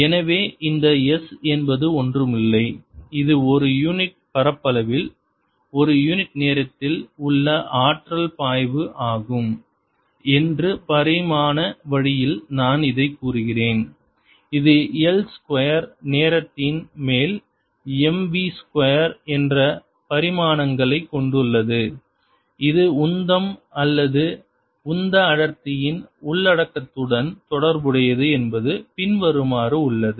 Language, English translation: Tamil, so i will just state in dimensional way that this s, which is nothing but energy flow per unit area, per unit time, which has the dimensions of m, v, square over l, square times time, is related to the content of momentum or momentum density as follows: momentum density, which is going to be m v over l cubed